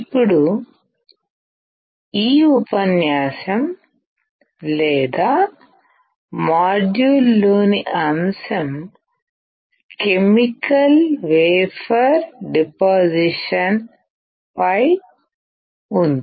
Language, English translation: Telugu, Now, the topic in this lecture or module is on chemical vapor deposition